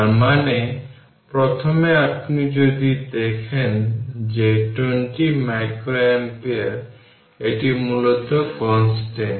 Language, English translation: Bengali, So; that means, first one if you see that that 20 micro ampere, it is basically your your constant